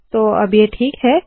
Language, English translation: Hindi, So now this is okay